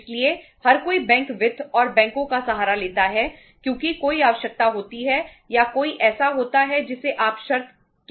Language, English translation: Hindi, So everybody resorts to the bank finance and banks because there is a uh requirement or there is a you can call it as a stipulation